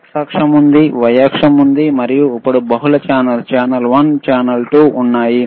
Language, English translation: Telugu, tThere is an x axis, there is a y axis, and then there is there are multiple channels, right channel one, channel 2